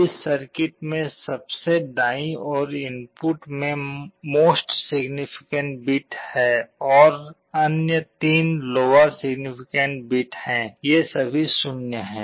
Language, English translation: Hindi, In this circuit the rightmost input is the most significant bit and the other 3 are the lower significant, these are all 0’s